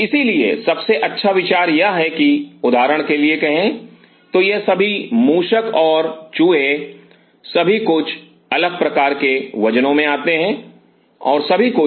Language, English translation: Hindi, So, the best idea is that say for example, So, the all these rats and mice everything comes in different kind of kgs and everything